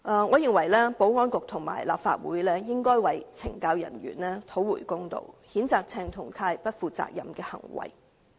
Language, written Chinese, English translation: Cantonese, 我認為保安局和立法會應為懲教人員討回公道，譴責鄭松泰議員不負責任的行為。, In my view the Security Bureau and the Legislative Council should seek justice for the CSD officers and censure Dr CHENG Chung - tai for his irresponsible behaviour